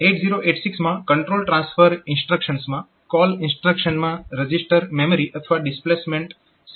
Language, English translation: Gujarati, So, the control transfer instructions in 8086, so there is call instruction call can be registered memory or displacement 16